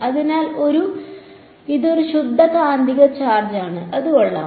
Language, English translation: Malayalam, So, this is also a pure magnetic charge ok, is that fine